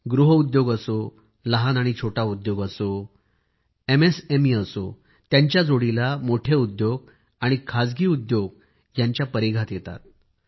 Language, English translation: Marathi, Be it cottage industries, small industries, MSMEs and along with this big industries and private entrepreneurs too come in the ambit of this